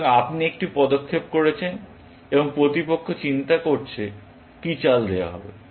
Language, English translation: Bengali, So, you have made a move, and opponent is thinking; what to move